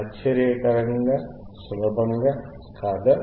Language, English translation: Telugu, Amazingly easy, isn’t it